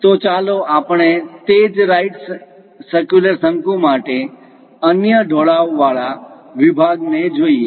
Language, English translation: Gujarati, So, let us look at the other inclined section, for the same right circular cone